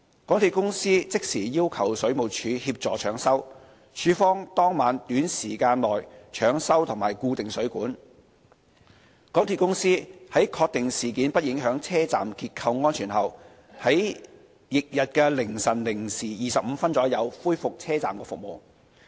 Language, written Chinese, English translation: Cantonese, 港鐵公司即時要求水務署協助搶修，署方當晚短時間內搶修及固定水管；港鐵公司在確定事件不影響車站結構安全後，於翌日凌晨零時25分左右恢復車站服務。, MTRCL sought assistance from the Water Supplies Department WSD immediately and the Department fixed and strengthened the supports of the pipe shortly that night . After confirming the structural safety of the station was not affected MTRCL resumed the services of the Station at around 12col25 am the next day